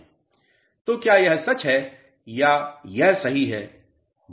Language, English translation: Hindi, So, is this true or is this correct